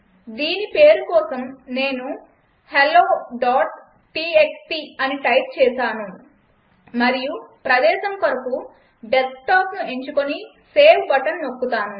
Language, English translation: Telugu, So let me type the name as hello.txt and for location I select it as Desktop and click on save button